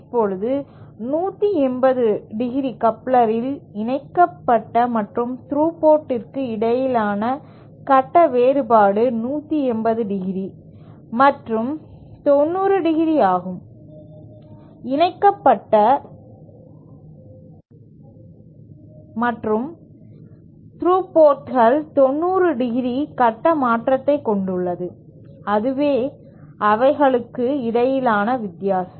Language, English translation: Tamil, Now, in a 180¡ coupler, the phase difference between the coupled and through ports is 180¡ and in 90¡, the coupled and through ports have a 90¡ phase shift, that is the difference between them